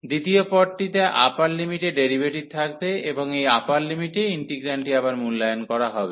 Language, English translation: Bengali, The second term will have the derivative of the upper limit, and the integrand will be evaluated again at this upper limit